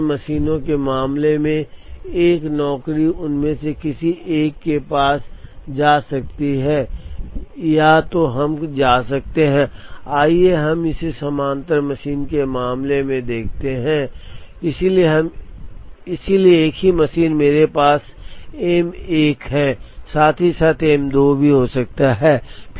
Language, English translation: Hindi, In the parallel machine case a job can go to either of them, it can either go to, let us now call look at it in the parallel machine case, so same machine, I could have M 1 as well as M 2